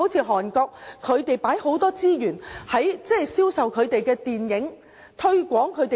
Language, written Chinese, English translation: Cantonese, 韓國投放很多資源來銷售電影及推廣食品。, Korea has put in a lot of resources promoting movies and food